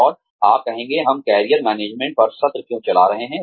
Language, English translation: Hindi, And, you will say, why are we having a session on Career Management